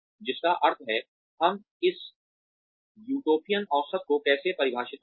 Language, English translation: Hindi, Which means, how do we define this Utopian average